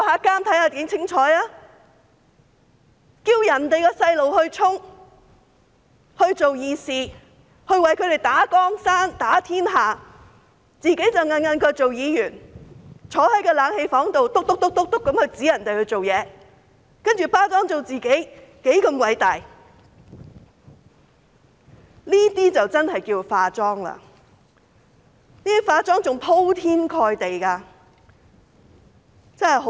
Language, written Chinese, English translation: Cantonese, 叫別人的孩子去衝、去做"義士"，為他們打江山、打天下，自己卻舒舒服服當議員，在冷氣房內發號司令，然後把自己包裝成多麼偉大，這些才是真的"化妝"，是鋪天蓋地的"化妝"。, They asked children of others to dash ahead and play the righteous fighters so that they can seize political power enjoy a comfortable life as Members while giving orders in air - conditioned rooms and packaging themselves as people of greatness . This is truly an extensive cover - up